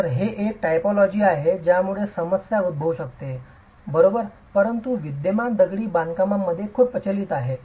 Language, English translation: Marathi, So, this is a typology that can throw up a problem, but is very prevalent in existing masonry constructions